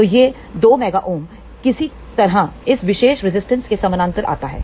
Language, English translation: Hindi, So, this 2 mega ohm somehow comes in parallel with this particular resistor